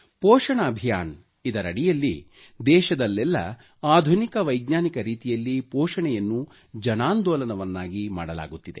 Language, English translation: Kannada, Under the 'Poshan Abhiyaan' campaign, nutrition made available with the help of modern scientific methods is being converted into a mass movement all over the country